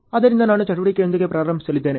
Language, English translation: Kannada, So, I am going to start with activity A